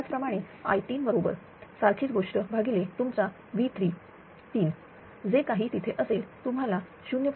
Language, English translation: Marathi, Similarly i 3 is equal to same thing divided by your V 3 conjugate whatever it is there right you will get 0